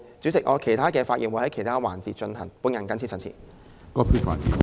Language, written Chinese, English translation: Cantonese, 主席，我會在其他環節就不同議題發言。, President I will speak on different themes during other sessions